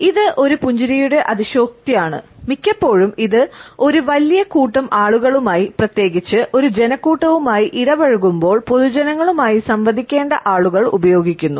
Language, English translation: Malayalam, It is the exaggeration of a smile and often it is taken up by those people who have to interact with a large group of people, particularly the public figures while interacting with a crowd